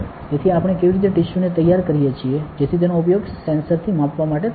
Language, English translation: Gujarati, So, how can we; how do we prepare the tissues, so that it can be used to measure with the sensor